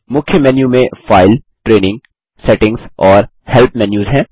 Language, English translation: Hindi, The Main menu comprises the File, Training, Settings, and Help menus